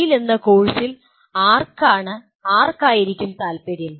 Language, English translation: Malayalam, Who is, who will have interest in the course called TALE